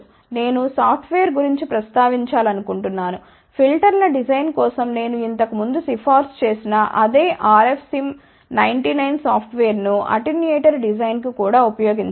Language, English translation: Telugu, I just want to mention about the software, which I had recommended earlier for designing filters that same R f same 99 software can be used to design attenuator also